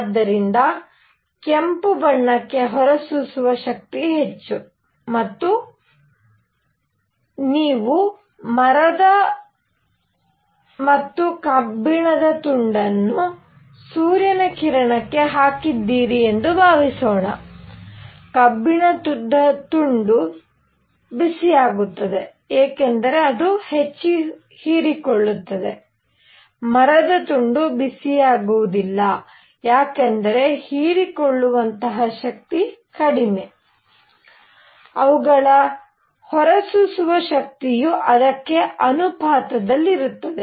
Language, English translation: Kannada, So, emissive power for red color would be more or suppose you put a piece of wood and iron outside in the sun, the iron piece becomes hotter because it absorbs more, wood piece does not get that hot because absorption power is low; their emissive power will also be proportional to that a